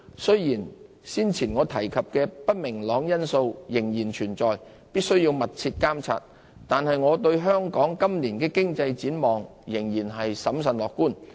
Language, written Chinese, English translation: Cantonese, 雖然先前我提及的不明朗因素仍然存在，必須密切監察，但我對香港今年的經濟展望仍然審慎樂觀。, In spite of the existence of the aforementioned uncertainties that bears close monitoring I am cautiously optimistic about the economic outlook of Hong Kong this year